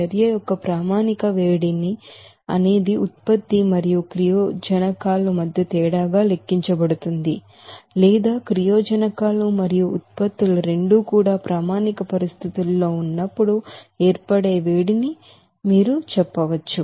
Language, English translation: Telugu, The standard heat of reaction is calculated as the difference between the product and reactants enthalpies or you can say that heat of formation when both reactants and products are at a standard conditions